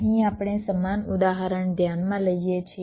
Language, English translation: Gujarati, lets look at a very specific example